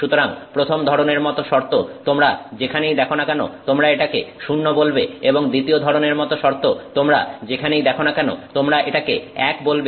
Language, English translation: Bengali, So, wherever you see the first kind of condition you call it a 0, wherever you find the second kind of condition, you call it 1